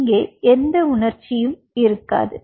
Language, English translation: Tamil, there wont be any emotion out here